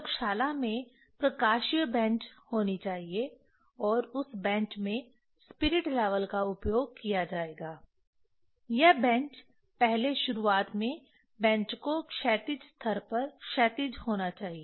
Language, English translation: Hindi, There should be optical bench in the laboratory and that bench should be using the spirit level that bench first initially that bench should be level horizon horizontal